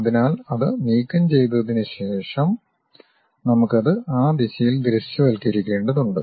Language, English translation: Malayalam, So, we have after removing that we have to visualize it in that direction